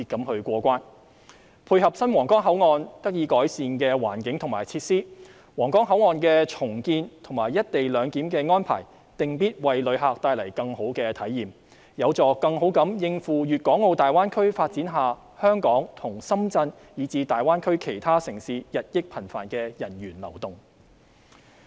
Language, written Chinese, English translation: Cantonese, 為配合皇崗口岸得以改善的環境及設施，重建皇崗口岸及"一地兩檢"安排定必為旅客帶來更好的體驗，有助更好應付粵港澳大灣區發展下香港及深圳以至大灣區其他城市日益頻繁的人員流動。, In order to tie in with the enhanced environment and facilities at the Huanggang Port it is necessary to redevelop the Huanggang Port and implement the co - location arrangement . This will bring a better travel experience to tourists and help Hong Kong Shenzhen and other cities in the Guangdong - Hong Kong - Macao Greater Bay Area to better cope with the increasing movement of people as the Greater Bay Area develops